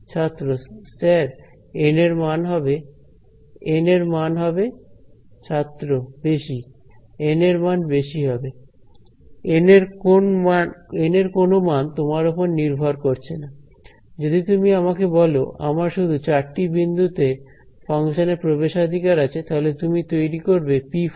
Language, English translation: Bengali, Value of N will be high, no value of N is up to you; if you tell me that I whole I have access to the function only at 4 points then you will create p 4 x